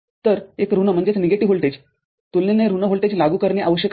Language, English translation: Marathi, So, a negative voltage, relatively negative voltage needs to be applied